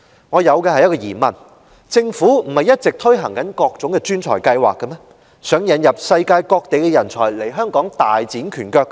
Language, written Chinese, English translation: Cantonese, 我有一個疑問，政府不是一直推動各種專才計劃，希望引入世界各地人才來港大展拳腳的嗎？, I have a question in mind . Has the Government not all along been promoting various professionals schemes in the hope of attracting talents from all over the world to come to Hong Kong to give play to their strengths and talent?